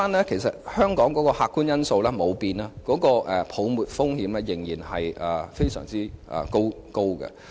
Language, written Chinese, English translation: Cantonese, 其實，香港的客觀因素沒有改變，泡沫風險仍然很高。, As a matter of fact the objective factors in Hong Kong have not changed and the risk of property bubble is still high